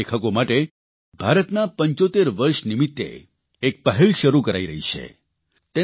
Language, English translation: Gujarati, An initiative has been taken for Young Writers for the purpose of India SeventyFive